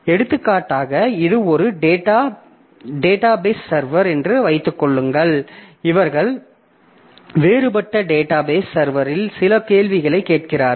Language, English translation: Tamil, So, for example, suppose assume that this is a database server and there these are different people who are putting some queries to the database server